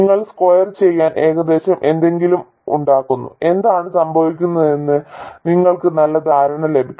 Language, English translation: Malayalam, You make something approximately to scale and you get a very good idea of what is going on